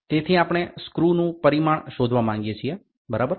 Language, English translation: Gujarati, So, this screw we wanted to find out the dimension of a screw, ok